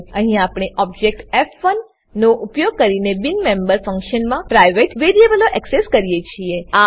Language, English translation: Gujarati, Here we access the private variables in non member function using the object f1